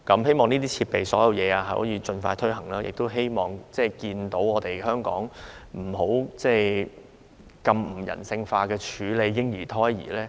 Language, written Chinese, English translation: Cantonese, 希望這些設備可以盡快應用，亦希望看到香港不要再用非人性方法處理嬰兒或胎兒遺骸。, I hope that these devices can be put to use as soon as possible and I hope that Hong Kong will no longer adopt inhumane practices to deal with remains of miscarried babies or their foetuses